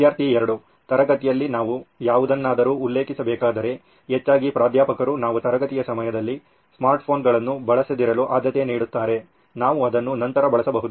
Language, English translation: Kannada, Well in the classrooms if we have to refer to anything, yes of course but mostly Professors prefer if we do not use smart phones during the class hour, we can use it later